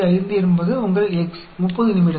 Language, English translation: Tamil, 5 is your x, 30 minutes